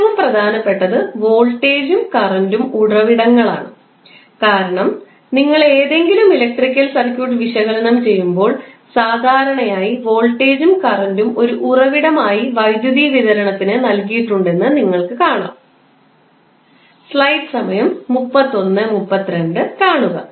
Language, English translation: Malayalam, The most important are voltage and current sources because generally when you will solve any electrical circuit you will generally see that voltage and current are given as a source for the supply of power